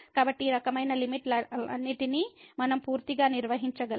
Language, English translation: Telugu, So, all these type of limits we can handle all together